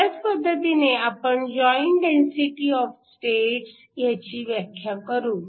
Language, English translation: Marathi, We can similarly define a joint density of states